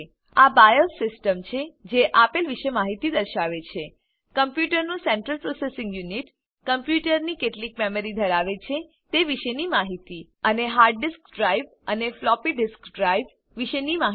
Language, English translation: Gujarati, This is the BIOS system displaying information about the computers central processing unit, information about how much memory the computer has, and information about the hard disk drives and floppy disk drives